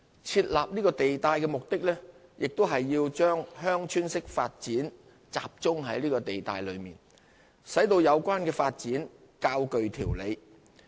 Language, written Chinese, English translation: Cantonese, 設立此地帶的目的，亦是要把鄉村式發展集中在地帶內，使有關發展較具條理。, The purpose of setting up the V zone is also to concentrate village type developments VTDs therein for a more orderly development